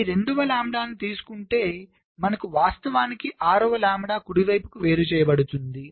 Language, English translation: Telugu, so taking out this two lambda, we actually have an effective separation of six lambda right now